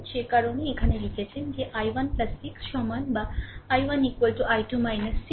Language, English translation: Bengali, So, that is why we have written here that i 1 plus 6 is equal at or i 1 is equal to i 2 minus 6